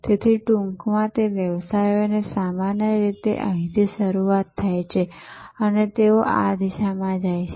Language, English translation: Gujarati, So, in short businesses start usually here and they go in this direction or they go in this direction